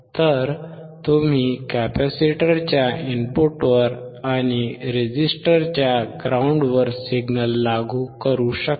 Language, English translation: Marathi, So, you can apply signal at the input of the capacitor and ground of the resistor